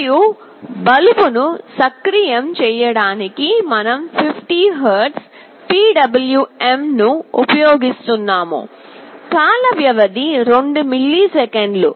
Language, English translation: Telugu, And for activating the bulb we have assumed that, we have using 50 Hertz PWM, with time period 20 milliseconds